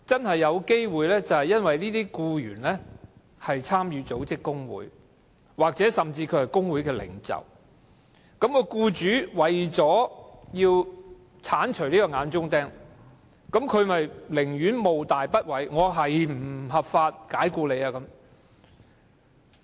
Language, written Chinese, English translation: Cantonese, 可能是因為僱員參與組織工會或甚至擔任工會領袖，僱主為了鏟除這口眼中釘，甘冒大不韙，不合法地解僱該僱員。, The reasons for dismissal might be the employees participation in the organization of a trade union or his being a union leader . In order to get rid of this thorn in his flesh the employer is willing to take the risk of dismissing the employee unlawfully